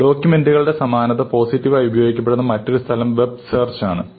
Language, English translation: Malayalam, Another place where there is positive notion towards documents similarity is to look for web search